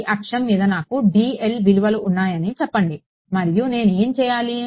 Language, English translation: Telugu, It says that let us say on this axis I have values of dl and what do I do